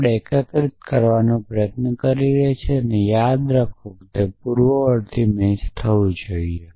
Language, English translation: Gujarati, So, we are trying to unify this with this remember the antecedent should match